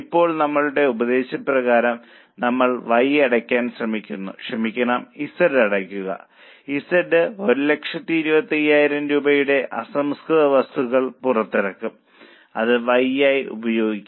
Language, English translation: Malayalam, Now as per our, we are trying to close Y, sorry, close Z and Z will release 1,000 25,000 rupees of raw material, which will be used for Y